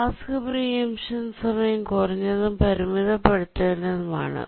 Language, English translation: Malayalam, The task preemption time need to be low and bounded